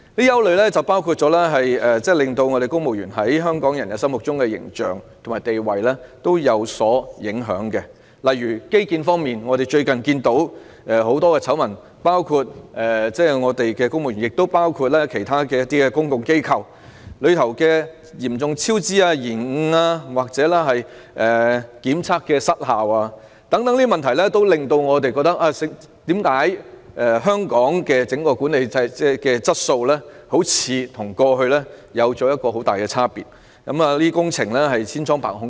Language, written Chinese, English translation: Cantonese, 有不少事情影響到公務員在香港人心目中的形象和地位，例如在基建方面，我們最近看到眾多醜聞，涉及公務員及其他公共機構嚴重超支、延誤或檢測失效等問題，讓人覺得香港的整體管治質素似乎與過去相比出現很大差別，以及工程千瘡百孔。, Many incidents have come to affect the image and status of civil servants in Hong Kong peoples mind . One example is our infrastructure projects . Recently we have learnt various scandals involving problems such as serious cost overrun delay or ineffective inspection and examination on the part of civil servants and other public organizations